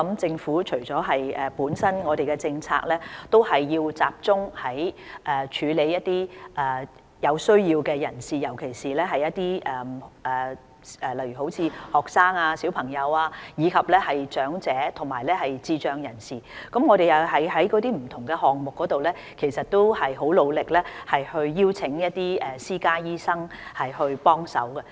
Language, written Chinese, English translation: Cantonese, 政府現時的政策是集中處理一些有需要的人士，例如學生、小朋友、長者及智障人士，而我們在不同項目上也很努力邀請一些私家醫生提供協助。, It is the Governments current policy to focus on people in need such as students children the elderly and persons with intellectual disability and efforts have also been made to invite dentists in private practice to provide assistance in various programmes